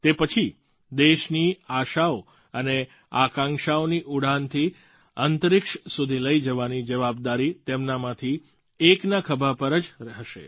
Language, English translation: Gujarati, After that, the responsibility of carrying the hopes and aspirations of the nation and soaring into space, will rest on the shoulders of one of them